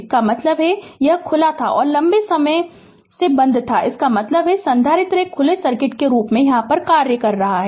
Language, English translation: Hindi, That means, this is this was open and this switch was closed for long time, that means capacitor is acting as an your open circuit